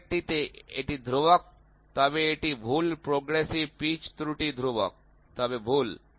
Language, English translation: Bengali, In the previous one it is constant, but it is incorrect progressive pitch error is constant, but incorrect